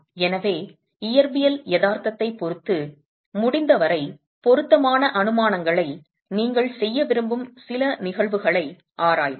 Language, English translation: Tamil, So let's examine a few cases where you might want to make assumptions that are as appropriate as possible with respect to physical reality